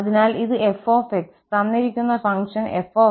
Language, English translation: Malayalam, So, this is the f, the given function f